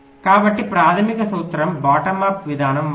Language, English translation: Telugu, so the principle is the same as in the bottom up thing